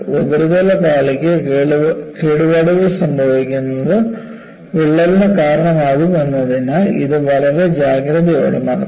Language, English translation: Malayalam, This should be conducted with extreme caution since, damage to the surface layer may induce cracking